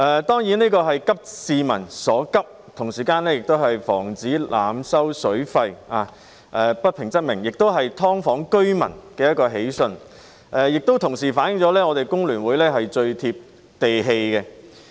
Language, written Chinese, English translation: Cantonese, 當然，這是急市民所急，同時也是為了防止濫收水費，不平則鳴，是"劏房"居民的一個喜訊，亦反映出香港工會聯合會是最貼地氣的。, Of course this Members Bill is addressing the pressing needs of the people as it aims to prevent overcharging for the use of water . Where there is injustice there will be an outcry . This is a piece of good news to tenants of subdivided units and also reflects that the Hong Kong Federation of Trade Unions is very down - to - earth